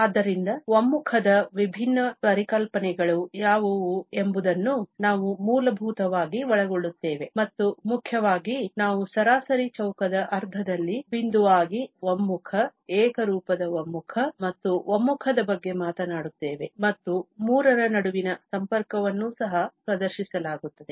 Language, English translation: Kannada, So, we will cover basically what are the different notions of convergence and mainly, we will be talking about the pointwise conversions, uniform convergence and convergence in the sense of mean square and the connection between all the three will be also demonstrated